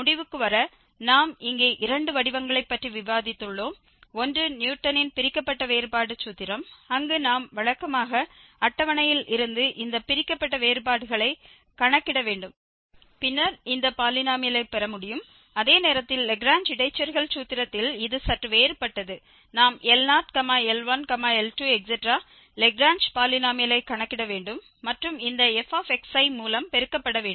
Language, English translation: Tamil, And just to conclude again, so, we have discussed two formats here for computing the interpolating polynomial, one was the Newton's Divided Difference formula, where we have to just compute these divided differences usually from the table and then we can get this polynomial, whereas in the Lagrange interpolation formula it is slightly different, we have to compute the Lagrange polynomial L0, L1, L2 and so on multiplied by this f x i And the last example, we have seen that, using this Newton's divided difference formula it was much easier to compute the polynomial which was actually lower degree polynomial though more values were given there